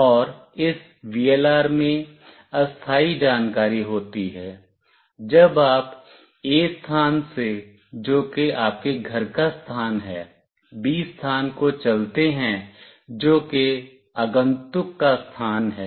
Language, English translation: Hindi, And then this VLR contains temporary information, when you move let us say from location A, which is your home location to location B, which is the visitor location